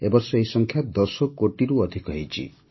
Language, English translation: Odia, This year this number has also crossed 10 crores